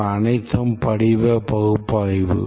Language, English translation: Tamil, And this is the forms analysis